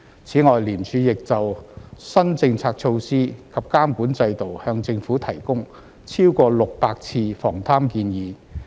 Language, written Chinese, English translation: Cantonese, 此外，廉署亦就新政策措施及監管制度向政府提供超過600次防貪建議。, In addition ICAC gave corruption prevention input to the Government more than 600 times in relation to new policy initiatives and regulatory regimes